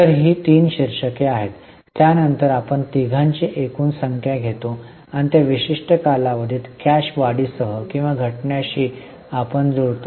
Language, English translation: Marathi, Then we take the total of the three and that we match with the increase or decrease of cash during that particular period